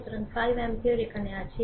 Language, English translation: Bengali, So, 5 ampere is here